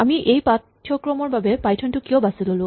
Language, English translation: Assamese, Why did we choose Python to do this course